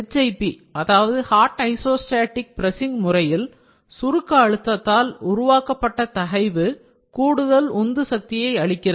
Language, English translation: Tamil, In the case of HIP Hot Isostatic Pressing and additional driving force is also active, stemming from the stress created by the compaction pressure